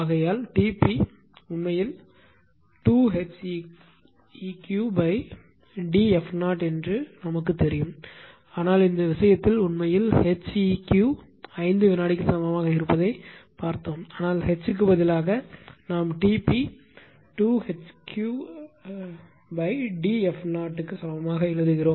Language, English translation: Tamil, Therefore we know this we know that T p actually we know to H upon d f 0 we do, but in this case we found actually H e q is equal to 5 second that is why instead of H; we are writing T p is equal to 2 H e q upon d into f 0